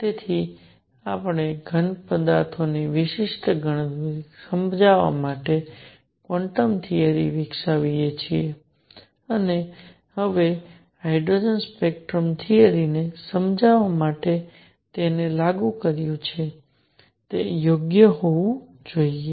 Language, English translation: Gujarati, So, we develop quantum theory applied it to explain specific heat of solids and now applied it to explain the hydrogen spectrum theory must be right alright